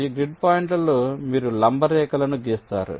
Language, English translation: Telugu, so so, on these grid points, you run perpendicular lines